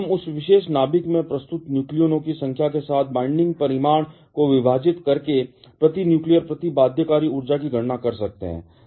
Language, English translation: Hindi, We can calculate binding energy per nucleon by dividing the binding magnitude with the number of nucleons presents in that particular nucleus